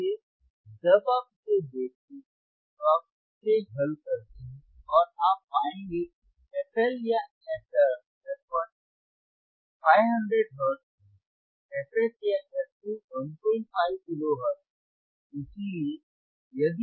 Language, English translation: Hindi, So, when you see this, you solve it and you will find that f HL or f 1 is 500 hertz, fH or f 2 is 1